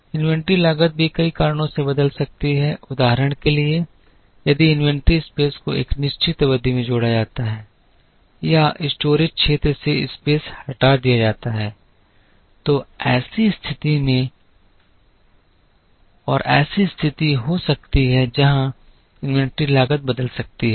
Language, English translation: Hindi, Inventory cost can also change due to many reasons for example, if inventory space is added in a certain period or space is removed from the storage area, then there can be a situation where the inventory cost can change